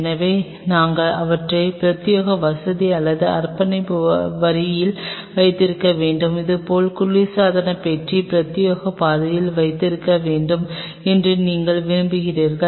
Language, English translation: Tamil, So, we have to have them on dedicated facility or dedicated line, and same way you want the refrigerator to be on the dedicated track